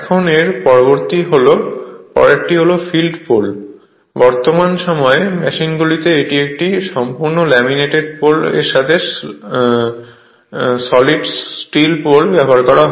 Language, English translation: Bengali, Now next is field poles, in present day machines it is usual to use either a completely laminated pole, or solid steel poles with laminated polls shoe right